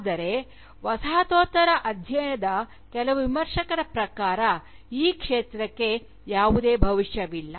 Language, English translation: Kannada, But, according to some Critics of Postcolonial studies, this field has no Future at all